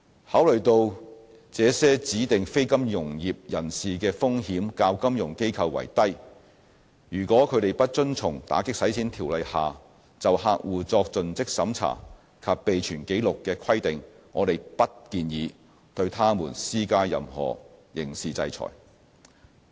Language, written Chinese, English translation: Cantonese, 考慮到這些指定非金融業人士的風險較金融機構為低，如果他們不遵從《條例》下就客戶作盡職審查及備存紀錄的規定，我們不建議對他們施加任何刑事制裁。, Considering that such DNFBPs pose lower risks than financial institutions we do not advise the imposition of any criminal sanctions on them should they fail to comply with the customer due diligence and record - keeping requirements under the Ordinance